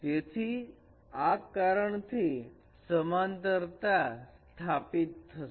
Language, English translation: Gujarati, So that is why this parallelism is established